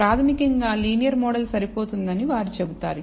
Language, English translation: Telugu, Basically they say they would say that the linear model is adequate